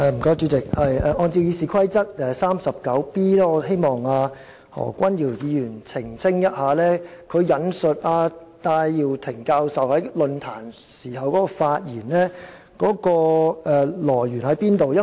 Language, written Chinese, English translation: Cantonese, 主席，按照《議事規則》第 39b 條，我希望何君堯議員澄清，他引述戴耀廷副教授在論壇上發言的來源為何？, President in accordance with Rule 39b of the Rules of Procedure may I ask Dr Junius HO to clarify the source of Associate Professor Benny TAIs speech at the Forum quoted by him?